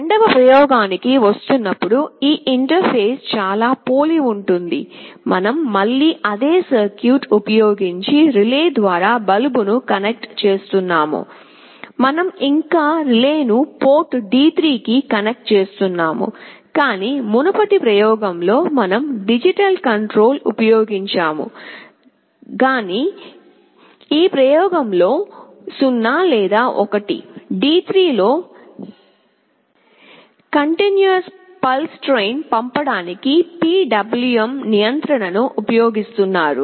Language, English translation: Telugu, Coming to the second experiment, the interface is very similar, we are again connecting the bulb through the relay using the same circuit, we are still connecting the relay to the port D3, but in the previous experiment we were using digital control, either 0 or 1, but in this experiments were using PWM control to send a continuous pulse train on D3